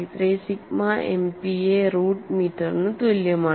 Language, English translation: Malayalam, 1833 sigma MPa root meter